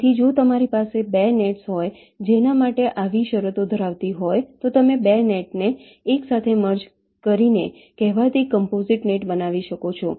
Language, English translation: Gujarati, so if you have two nets for which such conditions hold, then you can merge the two nets together to form a so called composite net